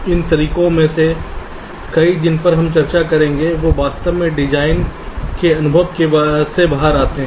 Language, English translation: Hindi, many of these methods that we will be discussing, they actually come out of design experience